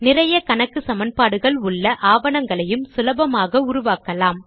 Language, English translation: Tamil, Documents with a lot of mathematical equations can also be generated easily in Latex